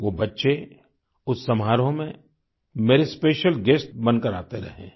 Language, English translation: Hindi, Those children have been attending the functions as my special guests